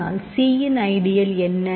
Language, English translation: Tamil, So, it is an element of c